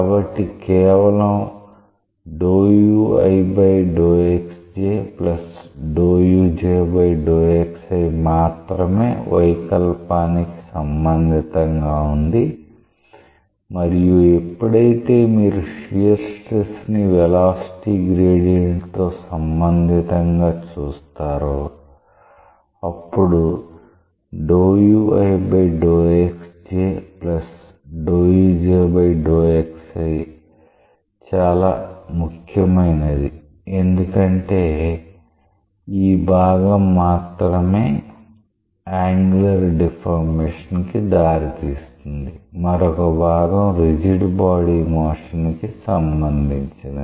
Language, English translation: Telugu, So, only this part is related to deformation and whenever you relate shear stress with the velocity gradient; this part is what is important because this part is giving rise to angular deformation, the other part is a rigid body motion